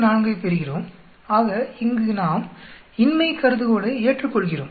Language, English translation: Tamil, 24, so here we accept the null hypothesis